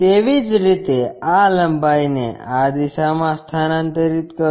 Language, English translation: Gujarati, Similarly, transfer this length in this direction